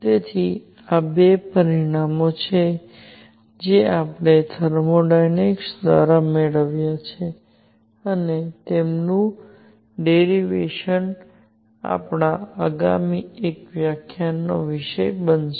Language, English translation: Gujarati, So, these are the two results that we have obtained through thermodynamics, and their derivation is going to be subject of our lecture in the next one